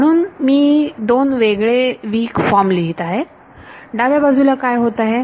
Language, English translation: Marathi, So, I am writing two different weak forms, what happens to the left hand side